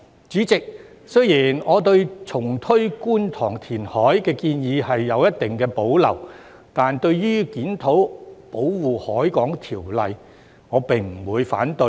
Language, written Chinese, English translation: Cantonese, 主席，雖然我對重推觀塘填海的建議有一定保留，但對於檢討《保護海港條例》，我不會反對。, President although I have certain reservations about the proposal to relaunch reclamation in Kwun Tong I will not oppose the review of the Ordinance